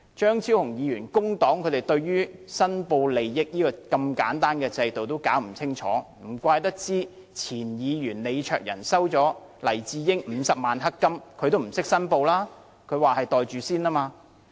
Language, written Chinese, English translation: Cantonese, 張超雄議員作為工黨議員，對申報利益如此簡單的制度也弄不清楚，難怪前議員李卓人先生收取了黎智英50萬元"黑金"，也不懂作出申報，他說那只是"袋住先"。, Being a Member of the Civic Party Dr Fernando CHEUNG has failed to sort out such a simple system of declaration of interests . No wonder former Member Mr LEE Cheuk - yan did not make any declaration for his receipt of 500,000 dark money from Jimmy LAI . He said he had merely pocketed it first